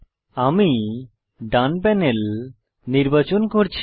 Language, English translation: Bengali, I am choosing the right panel